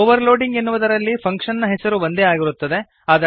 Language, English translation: Kannada, In overloading the function name is same